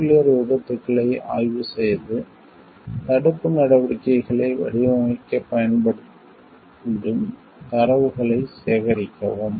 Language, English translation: Tamil, Examine nuclear accidents and gather data that can be used to design preventive measures